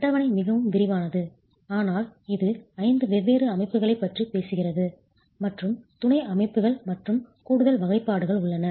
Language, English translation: Tamil, The table is much more elaborate, but it talks about five different systems and there are subsystems and further classifications